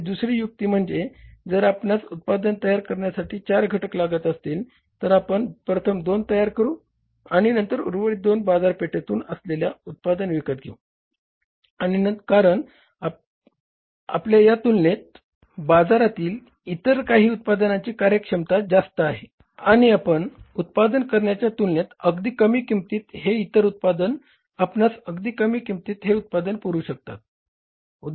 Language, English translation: Marathi, Second could be that if you are requiring four components to manufacture the fitness unit, you can manufacture first two and remaining two can be bought as ready made from the market because the efficiency of some other manufacture it is much higher as compared to we as a firm and they can supply as the product at a much lesser cost as compared to the cost at which we manufacture the product